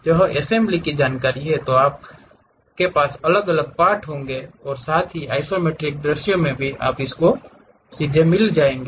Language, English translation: Hindi, If it is assembly you will have individual parts and also the isometric view you will straight away get it